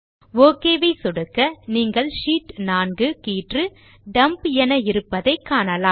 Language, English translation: Tamil, Click on the OK button and you see that the Sheet 4 tab has been renamed to Dump